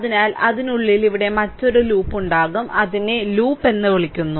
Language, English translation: Malayalam, So, within that there will be another loop here, another loop here, it is called loop, right